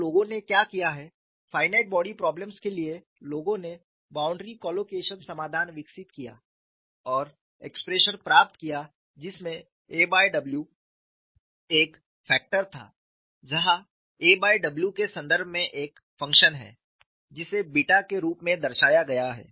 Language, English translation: Hindi, So, what people have done is, for finite body problem, people develop boundary collocation solution and obtained expression, it had a factor a by w a function in terms of a by w, which is represented as beta